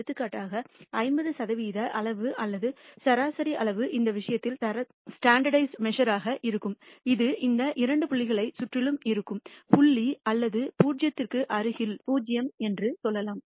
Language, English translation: Tamil, For example, the 50 percent quantile or the median quantile, in this case the standardized measure, will be and which is around these two points around let us say minus point or around 0 close to 0